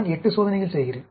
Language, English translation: Tamil, I am doing 8 experiments